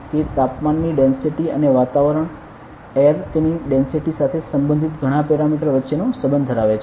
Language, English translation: Gujarati, It has the relation between temperature density and a lot of parameters related to atmosphere air its density a lot of things